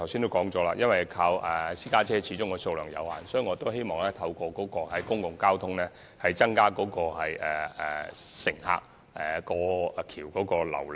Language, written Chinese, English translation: Cantonese, 我剛才也說過，私家車的數量始終有限，所以我希望能透過公共交通來增加大橋的旅客流量。, As I said earlier since the number of private cars using HZMB will be limited I hope we can increase our visitor flow by means of public transport